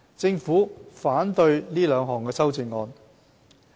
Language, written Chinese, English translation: Cantonese, 政府反對這兩項修正案。, The Government opposes these two amendments